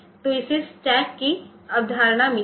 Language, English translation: Hindi, got the concept of stack